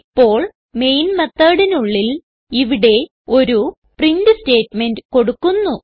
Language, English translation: Malayalam, Now inside the Main method at the end type the print statement